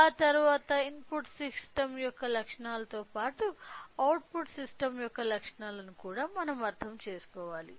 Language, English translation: Telugu, After that we should understand about the characteristics of the input system as well as characteristics of the output system